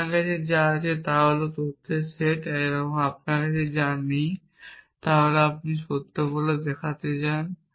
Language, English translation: Bengali, What you have is the set of facts, what you do not have is something you want to show to be true